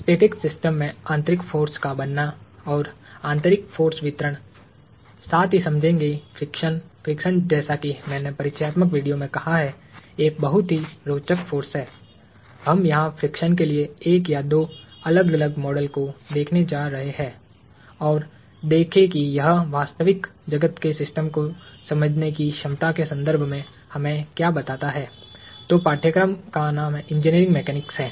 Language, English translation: Hindi, The generation of internal forces and internal force distributions in static systems, as well as understanding friction – friction like I said in the introductory video is a very interesting force; we are going to look at one or two different models for friction and see what that tells us in terms of the ability to understand a real world system